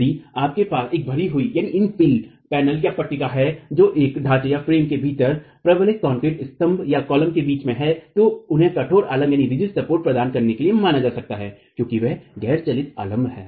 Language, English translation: Hindi, If you have an infill panel that is sitting between reinforced concrete columns within a frame, then those could be assumed to be providing rigid support because they are non moving supports